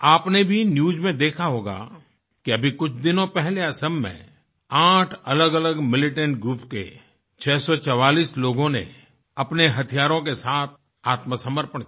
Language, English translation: Hindi, You might also have seen it in the news, that a few days ago, 644 militants pertaining to 8 different militant groups, surrendered with their weapons